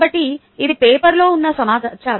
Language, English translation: Telugu, so this is the data that went into the paper